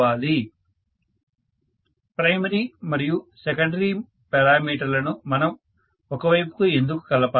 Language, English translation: Telugu, Why should we combine primary and secondary parameters to one side